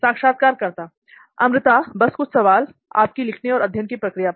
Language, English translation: Hindi, Amruta, just a few questions on writing and how you learn